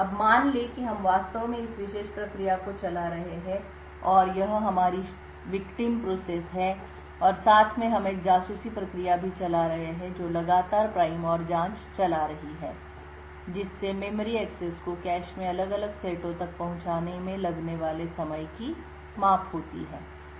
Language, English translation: Hindi, Now assume that we are actually running this particular process and this is our victim process and side by side we also run a spy process which is continuously running the prime and probe scanning the measuring the time taken to make memory accesses to a different sets in the cache